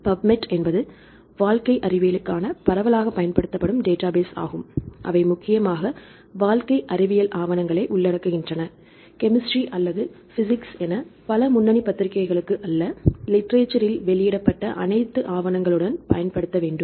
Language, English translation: Tamil, Then Pubmed is the widely used database for the life sciences right they include mainly life sciences papers, not the physics or chemistry right from several leading journals right with the reference to the all the papers published in the literature ok